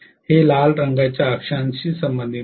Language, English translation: Marathi, So this is corresponding to the red color axis